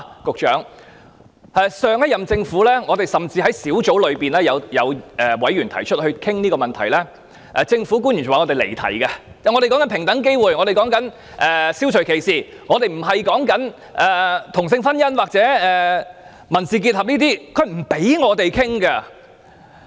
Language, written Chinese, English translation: Cantonese, 局長，這是事實，上屆政府的官員在出席相關小組委員會會議時，指提出討論這問題的委員離題，以及辯稱所討論的是平等機會，消除歧視，並非同性婚姻或民事結合，不讓委員進行討論。, Secretary this is the fact and while attending meetings of a relevant subcommittee officials of the last - term Government pointed out that members raising the related issues had digressed from the subject concerned and they did not allow Members to discuss by saying that instead of same - sex marriage or civil union the subjects under discussion then were equal opportunities and elimination of discrimination